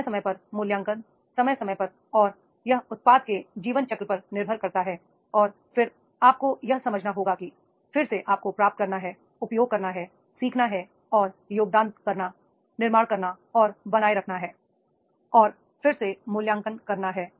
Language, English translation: Hindi, Then in knowledge management you have to make the assessment, assessment periodically time to time and it depends on the life cycle of the product and then you have to understand that is the you again you have to get use, learn and contribute, build and sustain and then again assess